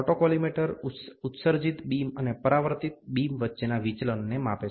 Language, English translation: Gujarati, The autocollimator measure the deviation between the emitted beam and the reflected beam